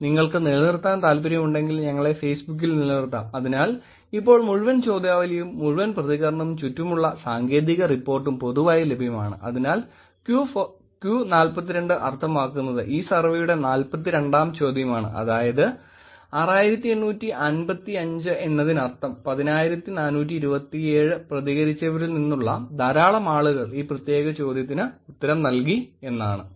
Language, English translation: Malayalam, So, the entire questionnaire, the entire responses and the technical report around that is publicly available, Q 42 in the slide means that it is question 42 of this survey that was asked and hence 6855 means that much number people from the 10,427 respondents actually answered this particular question